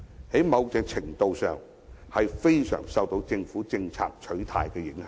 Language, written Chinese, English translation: Cantonese, 在某程度上，是非常受政府政策的取態所影響。, To a certain extent it depends very much on the position of government policy